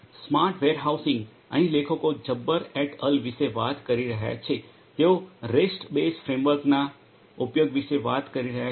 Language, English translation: Gujarati, Smart Warehousing, here the authors are talking about Jabbar et al they are talking about the use of a rest based framework